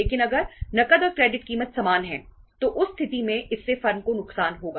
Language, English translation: Hindi, But if the cash and the credit price is same in that case this will be a loss to the firm